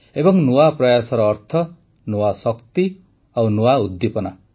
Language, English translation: Odia, And, new efforts mean new energy and new vigor